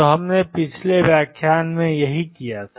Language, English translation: Hindi, So, this is what we did in the previous lecture